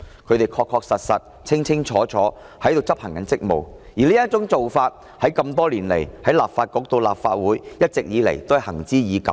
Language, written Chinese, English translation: Cantonese, 他們確確實實、清清楚楚地在執行職務，而多年來從立法局到立法會，這種做法一直都是行之已久的。, It is crystal clear that they were discharging their duties and such practice has long existed for years throughout the history of the Legislative Council